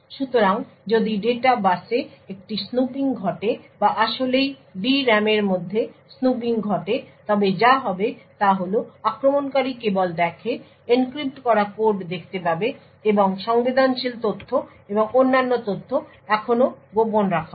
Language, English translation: Bengali, So thus, if there is a snooping done on the data bus or there is actually snooping within the D RAM then what would happen is that the attacker would only see encrypted code and the sensitive data and information is still kept secret